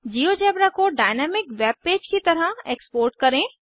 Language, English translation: Hindi, To export Geogebra as a dynamic webpage